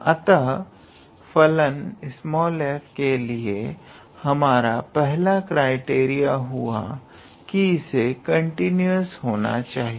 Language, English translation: Hindi, So, the very first criteria we need to have for the function small f is that it needs to be continuous